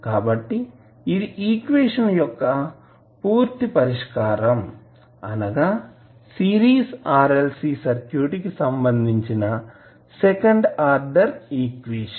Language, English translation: Telugu, So, this would be the total solution of the equation that is the second order equation related to our series RLC circuit